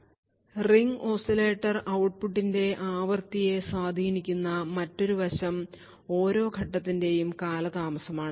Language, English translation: Malayalam, Another aspect which influences the frequency of this ring oscillator output is the delay of each stage